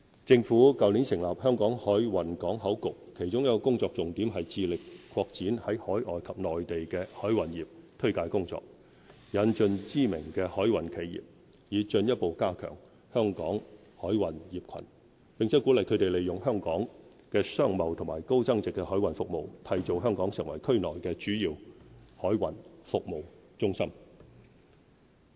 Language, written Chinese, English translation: Cantonese, 政府去年成立"香港海運港口局"，其中一個工作重點是致力擴展在海外及內地的海運業推介工作，引進知名的海運企業，以進一步加強香港海運業群，並鼓勵他們利用香港的商貿和高增值海運服務，締造香港成為區內的主要海運服務中心。, Last year the Government set up the Hong Kong Maritime and Port Board . A focus of the Board is to step up promotional efforts to encourage key maritime enterprises to set up in Hong Kong overseas and in the Mainland with a view to strengthening our maritime cluster and to encourage the use of our commercial and high value - added maritime services to develop Hong Kong as a premier maritime services hub in the region